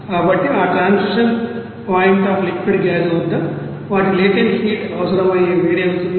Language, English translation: Telugu, So their transition at that transition point of that you know liquid gas what will be the heat required that is latent heat